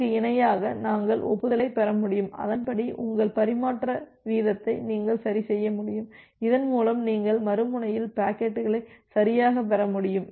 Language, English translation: Tamil, And parallely we will be able to receive the acknowledgement and you will be able to adjust your transmission rate accordingly so that you can receive the packets correctly at the other end